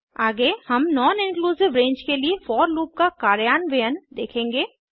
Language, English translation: Hindi, Next we shall look at implementing the each loop for a non inclusive range